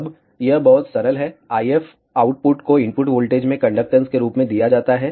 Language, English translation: Hindi, Now, it is very simple, the IF output is given as the conductance into the input voltage